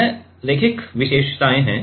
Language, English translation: Hindi, This is linear characteristics